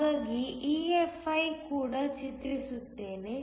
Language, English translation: Kannada, So, I will also draw EFi